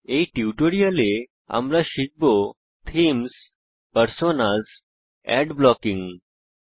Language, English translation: Bengali, In this tutorial, we will learn about: Themes, Personas, Ad blocking in Mozilla Firefox